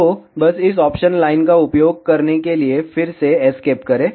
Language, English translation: Hindi, So, just to make that just use this option line, again escape